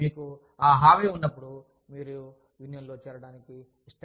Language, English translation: Telugu, When you have that assurance, you do not want to join a union